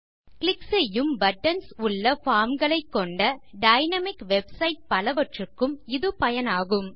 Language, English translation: Tamil, It is used for most of the dynamic website with forms that have click able buttons